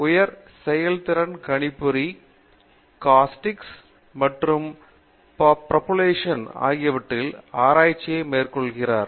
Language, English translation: Tamil, He does a lot of active research in the areas of high performance computing and caustics and propulsion